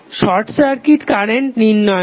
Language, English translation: Bengali, The short circuit current